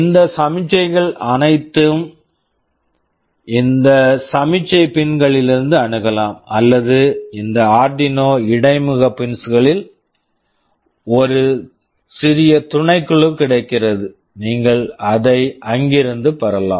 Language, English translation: Tamil, All these signals can be accessed either from these signal pins, or a small subset of that is available over these Arduino interface pins, you can also avail it from there